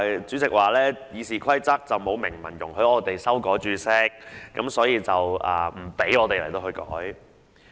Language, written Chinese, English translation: Cantonese, 主席表示《議事規則》沒有明文容許議員修改註釋，故不讓我們作出相關修訂。, According to the President he has ruled our amendments inadmissible because the Rules of Procedure does not expressly allow Members to amend the Explanatory Note